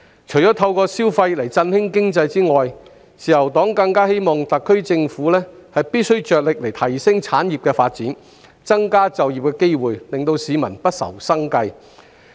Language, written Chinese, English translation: Cantonese, 除透過刺激消費來振興經濟外，自由黨更希望特區政府着力提升產業的發展，增加就業機會，令市民不愁生計。, Apart from stimulating consumption to boost the economy the Liberal Party also hopes that the SAR Government will make efforts to enhance industrial development and increase job opportunities so that people will not have to worry about their livelihood